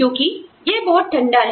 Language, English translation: Hindi, Because, it is so cold